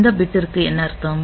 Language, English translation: Tamil, So, the what does this bit mean